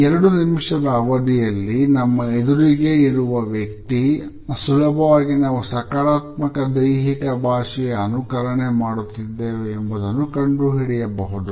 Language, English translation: Kannada, Beyond a space of 2 minutes the other person can easily find out if we are trying to fake a positive body language